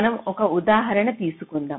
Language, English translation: Telugu, so lets take an example